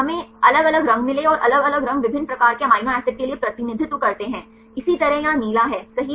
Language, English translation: Hindi, We got different colors and the different colors represent for the different types of amino acids likewise there is the blue right